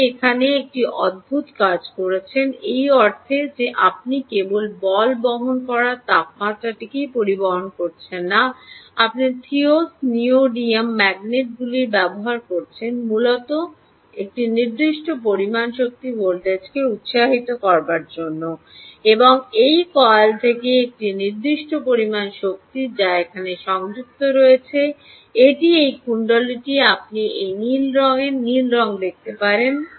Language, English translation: Bengali, you are doing a peculiar thing here, in the sense that you are not only measuring the temperature of the ball bearing, you are also using theses neodymium magnets for inducing a certain amount of energy voltage basically and a certain amount of power from this coil which is connected here